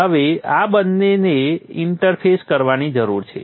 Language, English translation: Gujarati, Now these two need to be interfaced